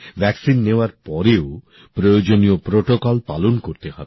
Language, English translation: Bengali, Even after getting vaccinated, the necessary protocol has to be followed